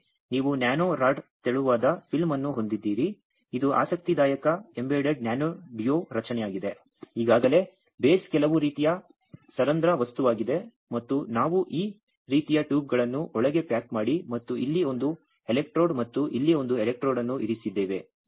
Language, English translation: Kannada, Similarly, you have nano rod thin film this is interesting embedded nano duo structure already the base is some kind of porous material and we packed this kind of tubes inside and put one electrode here and one electrode there